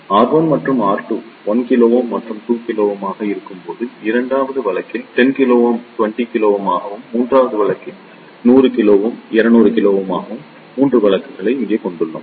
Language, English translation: Tamil, So, let us take here 3 cases when R 1 and R 2 are 1 kilo ohm and 2 kilo ohm and for the second case, when they are 10 kilo ohm and 20 kilo ohm and for the third case, they are 100 kilo ohm and 200 kilo ohm